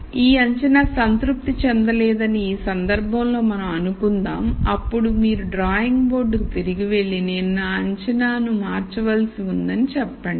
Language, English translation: Telugu, So, let us assume in this case that this assumption is not satisfied then you go back to the drawing board and then say I have to change my assumption